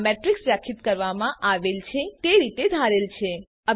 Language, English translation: Gujarati, This is expected in the way a matrix is defined